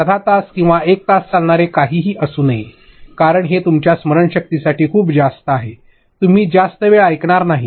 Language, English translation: Marathi, Do not have something going on for half an hour or 1 hour, it is too much of you know in memory, you are not going to listen for that long